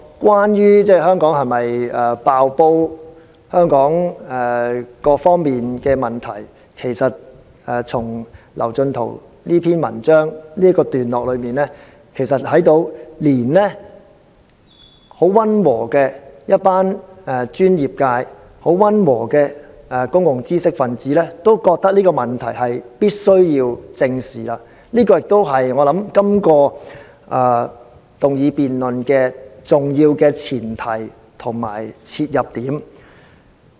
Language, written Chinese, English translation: Cantonese, "關於香港是否"爆煲"及香港各方面的問題，從劉進圖這篇文章已看到，連一群很溫和的公共專業界知識分子也認為這問題必須正視，這亦是這項議案辯論重要的前提和切入點。, With regard to the question of whether Hong Kong is on the verge of collapse and our problems on various fronts we can note from this article written by Kevin LAU that some public intellectuals and professionals who are very moderate do consider this an issue that we must face squarely and this is an important premise and starting point of this motion debate